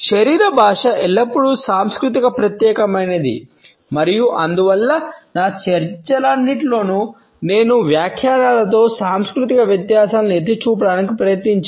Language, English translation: Telugu, Body language as always cultural specific and therefore, in all my discussions I have tried to point out the cultural differences in the interpretations